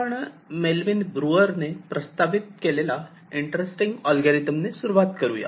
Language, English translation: Marathi, so we start with an interesting algorithm which is proposed by melvin breuer